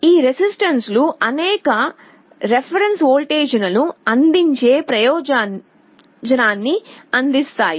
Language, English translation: Telugu, These resistances serve the purpose of providing several reference voltages